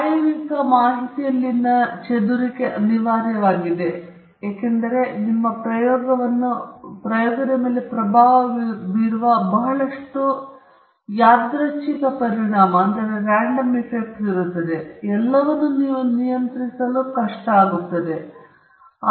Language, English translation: Kannada, The scatter in the experimental data is inevitable, because there are lot of random effects which are influencing your experiment and you cannot control all of them